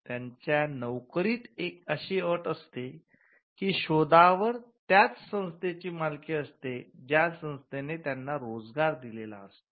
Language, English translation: Marathi, The terms of their employment will say that the invention shall be owned by the organization which employees them